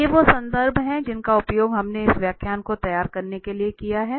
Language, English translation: Hindi, Well, so, these are the references we have used for preparing these lectures